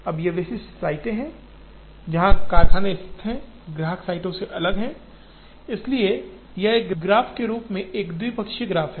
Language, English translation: Hindi, Now, these specific sites where factories are located are different from customer sites, therefore this as a graph is a bipartite graph